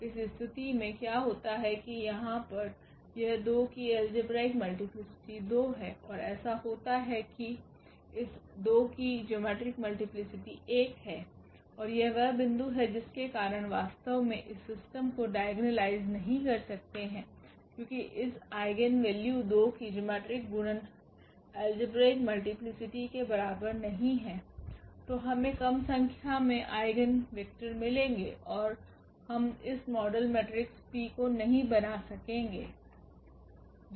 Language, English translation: Hindi, What happens in this case that here this algebraic multiplicity of 2 is 2 and it comes to be that the geometric multiplicity of this 2 is 1 and that is the point where actually we cannot diagnolize the system because geometric multiplicity is not equal to the algebraic multiplicity for this eigenvalue 2 then we will get less number of eigenvectors and we cannot form this model matrix P